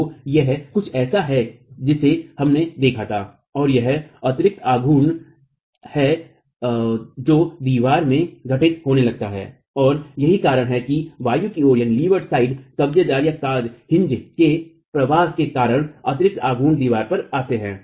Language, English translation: Hindi, So this is something that we looked at and there are additional moments that start occurring in the wall and that is because of the migration of the hinge towards the leeward side causing additional moments to come onto the wall